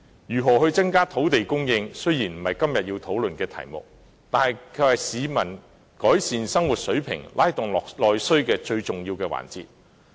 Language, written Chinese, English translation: Cantonese, 如何增加土地供應，雖然不是今天要討論的議題，卻是改善市民生活水平，拉動內需最重要的環節。, Their development is thus impeded . Although the question of how to increase land supply is not a topic for discussion today it is the most important factor in improving the living standard of the people and stimulating internal demand